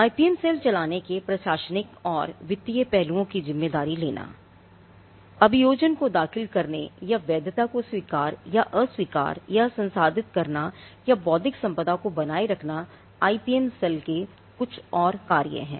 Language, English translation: Hindi, Taking responsibility of the administrative and the financial aspects of running the IPM cell; one of accepting or rejecting or validating and processing filing prosecuting and maintaining the intellectual property as per the relevant lost, so this is another function of the IPM cell